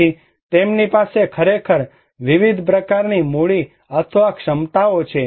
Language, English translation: Gujarati, So, they have actually different kind of capitals or capacities